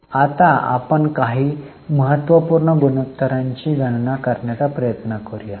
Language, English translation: Marathi, Now, let us try to calculate a few important ratios